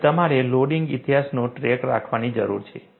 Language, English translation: Gujarati, You have to keep track of the loading history